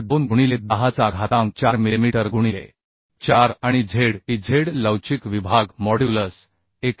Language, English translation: Marathi, 2 into 10 to the power 4 millimetre to the 4 and Zez the elastic section modulus is equal to 91